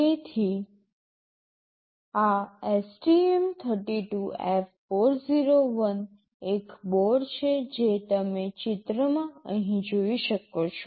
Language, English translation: Gujarati, So, this STM32F401 is a board you can see the picture here